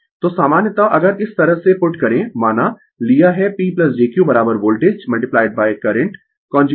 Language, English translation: Hindi, So, in general if you put like this suppose, we have taken P plus jQ is equal to voltage into current conjugate